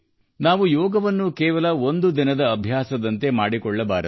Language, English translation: Kannada, We do not have to make Yoga just a one day practice